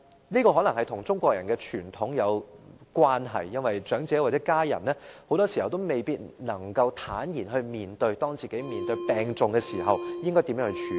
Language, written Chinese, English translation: Cantonese, 這可能與中國人的傳統有關，因為長者或家人很多時候也未必能夠坦然面對自己病重時應如何作出處理。, This may have to do with the Chinese traditions as the elderly or their family members often may not be able to calmly face what arrangements should be made when they are seriously ill